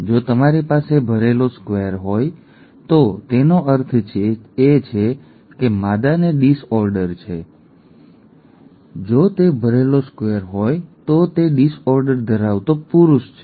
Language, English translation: Gujarati, If you have a filled square it means that the female has the disorder, the disorder is apparent; if it is a filled square it is a male with the disorder